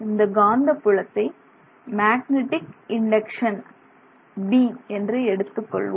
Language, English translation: Tamil, So, so that is the magnetic field induction, magnetic induction as it is called and that is this B